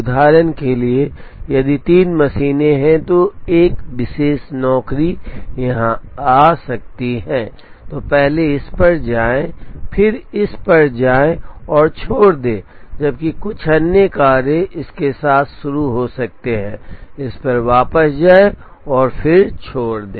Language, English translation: Hindi, For example, if there are 3 machines one particular job may come here, first then visit this, then visit this and leave, while some other job may start with this, visit this come back to this and then leave